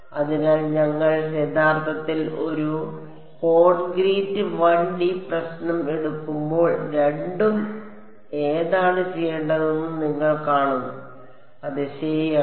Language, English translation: Malayalam, So, I leave it at that when we actually take a concrete 1 D problem you will see which one to do both are correct yes ok